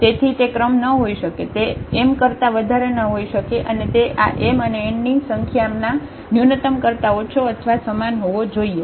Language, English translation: Gujarati, So, it cannot be the rank, cannot be greater than m the minimum it has to be less than or equal to the minimum of this m and n this number